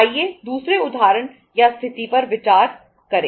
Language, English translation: Hindi, Let us consider another example or the another situation